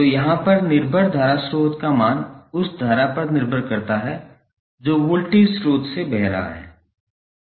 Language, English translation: Hindi, So, here the dependent current source value is depending upon the current which is flowing from the voltage source